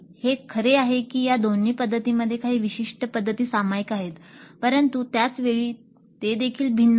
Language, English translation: Marathi, It is true that both these approaches share certain common methodologies but at the same time they are distinct also